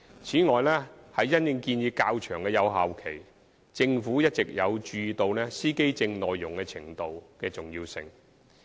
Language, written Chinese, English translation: Cantonese, 此外，因應建議較長的有效期，政府一直有注意到司機證耐用程度的重要性。, In addition with regard to the proposal for a longer validity period the Government has been paying attention to the importance of the durability of driver identity plates